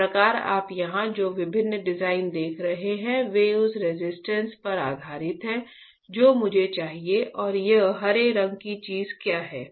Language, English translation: Hindi, Thus the different designs that you see here right are based on the resistance that I want and what is this green color thing